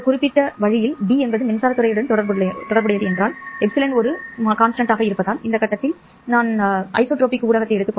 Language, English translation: Tamil, If D is related to electric field in this particular way, then epsilon being a constant, I am assuming at this point an isotropic medium